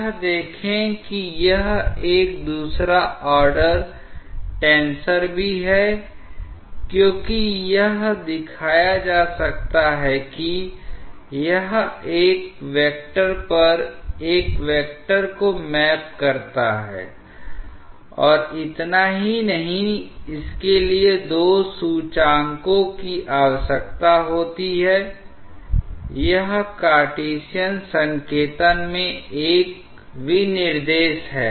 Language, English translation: Hindi, See this is also a second order tensor because it may be shown that it maps a vector onto a vector and not only that it requires two indices for it is specification in the Cartesian notation So, we have seen the rate of angular deformation